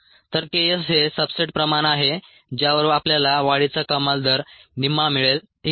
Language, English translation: Marathi, ok, so k s is the substrate concentration at which you get half maximal growth rate